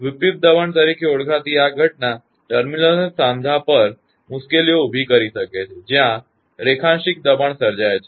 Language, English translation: Gujarati, This phenomena known as stress inversion may lead to a troubles at terminals and joints where longitudinal stresses are created